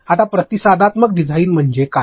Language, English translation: Marathi, Now, what do I mean by responsive design